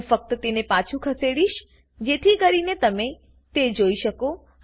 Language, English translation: Gujarati, Ill just move it back so you can see